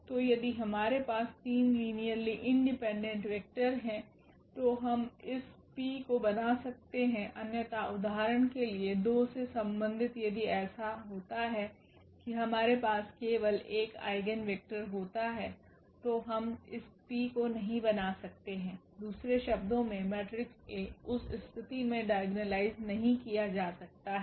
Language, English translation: Hindi, So, if we have 3 linearly independent vectors we can form this P otherwise for example, corresponding to 2 if it happens that we have only 1 eigenvector then we cannot form this P in other words the matrix A is not diagonalizable in that case